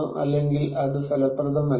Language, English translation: Malayalam, or is it not effective